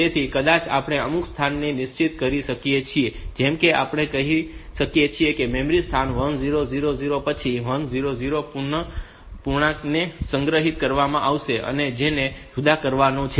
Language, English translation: Gujarati, So, maybe we can fix some location like we can say that that the location the memory location 1000 onwards the 100 integers will be stored which are to be sorted